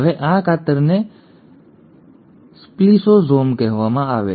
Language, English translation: Gujarati, Now this scissors are called as “spliceosomes”